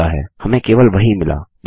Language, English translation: Hindi, We have got only that